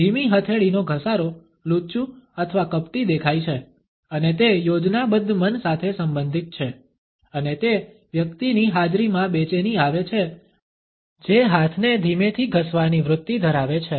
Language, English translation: Gujarati, A slow palm rub appears rather crafty or devious and it is related with scheming mind and one becomes uneasy in the presence of a person who has a tendency to slowly rub the hands